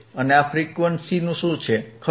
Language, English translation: Gujarati, And what is this frequency, right